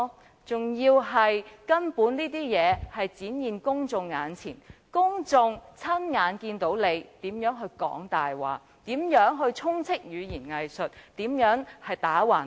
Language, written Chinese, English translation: Cantonese, 而且，事實根本已展現在公眾眼前，公眾親眼看到他說謊、滿口語言"偽術"、無理強辯。, Moreover facts speak louder than words . Members of the public can all hear his lies doublespeak and sophistry